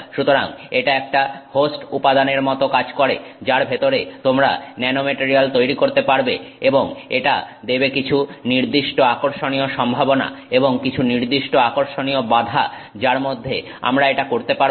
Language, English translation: Bengali, So, it acts like a host material inside which you can grow the nanomaterial and it gives us certain interesting, you know, possibilities and certain interesting constraints within which we can do this